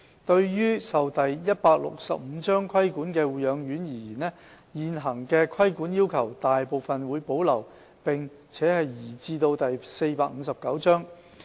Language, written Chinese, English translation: Cantonese, 對於受第165章規管的護養院而言，現行的規管要求大部分會保留並移至第459章。, The existing regulatory requirements for nursing homes under the Cap . 165 regulatory regime will be largely preserved and moved to Cap . 459